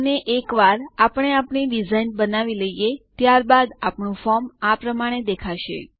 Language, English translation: Gujarati, And once we are done with our design, this is how our form will look like